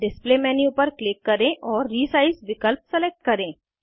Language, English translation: Hindi, Click on Display menu and select Resize option